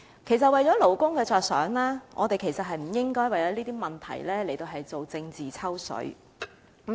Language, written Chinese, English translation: Cantonese, 其實，為了勞工着想，我們其實不應該為了這些問題而進行政治"抽水"。, In fact for workers sake we should not try to gain political capital through these issues